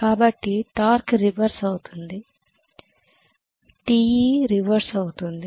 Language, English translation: Telugu, So torque gets reversed, TE is reversed okay